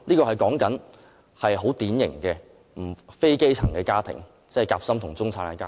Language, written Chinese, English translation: Cantonese, 我指的是很典型的非基層家庭，即"夾心"和中產家庭。, What I refer to are typical sandwich - class and middle - class families not the grass roots